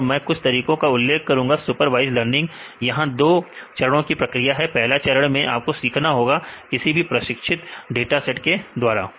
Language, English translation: Hindi, And I will explain some of these methods; supervised learning it is a 2 step process in the first case you have to learn using any training dataset right